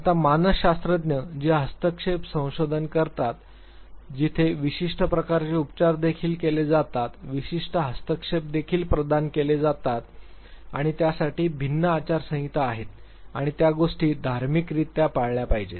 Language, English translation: Marathi, Now psychologist, they conduct intervention research where certain type of treatments are also provided, certain interventions are also provided and there are different code of conduct for that and that has to be followed religiously